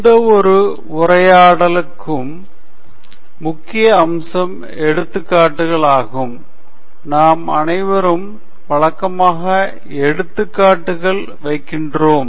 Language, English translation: Tamil, An important aspect of any talk is illustrations, and we all routinely put up illustrations